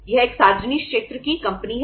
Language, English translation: Hindi, It is a public sector company